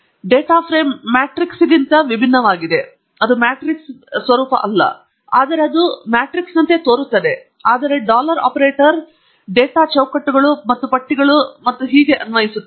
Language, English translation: Kannada, Data frame is different from matrix but it looks like a matrix, but the dollar operator applies to data frames, and lists, and so on